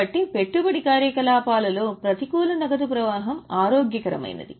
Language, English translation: Telugu, So, negative cash flow in investing activity is healthy